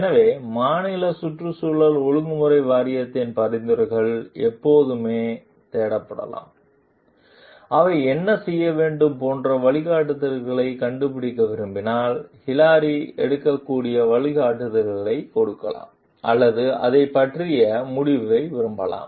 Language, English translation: Tamil, So, the suggestions of the state environmental regulation board can always be sought for, if they want to find the guidelines like what requires to be done and given the guidelines Hilary may take or like a decision about it